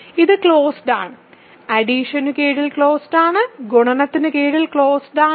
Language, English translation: Malayalam, So, this is closed under addition; closed under addition; closed under multiplication